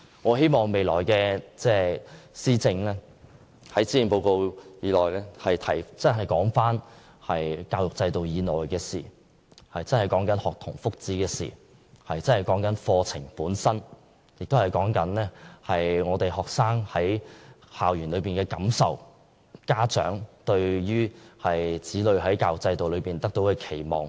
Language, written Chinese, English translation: Cantonese, 我希望未來施政報告內的教育政策，能真正談及教育制度以內的事情，真正為學童謀福祉，真正處理課程本身的事情；並顧及學生在校園的感受，以及家長對子女在教育制度下學習的期望。, I hope that when you talk about education policy in the future Policy Addresses you are really talking about and working on matters within the educational system such as student welfare the curriculum and also life and feelings of students on school campuses as well as expectations of parents on what students should learn in schools . I hope that the authority can understand that academic study should be done academically